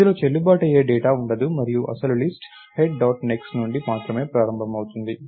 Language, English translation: Telugu, It will not have any valid data and the actual list is only going to start from head dot next